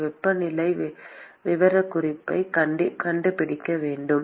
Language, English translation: Tamil, Can we find the temperature profile